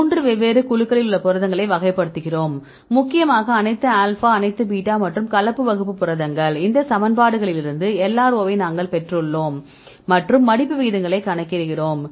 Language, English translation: Tamil, So, we classify the proteins in 3 different groups right mainly all alpha all beta and mixed class proteins and we derived the LRO from these equations and calculate the folding rates